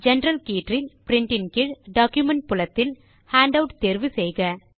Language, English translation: Tamil, And in the General tab, under Print, in the Document field, choose Handout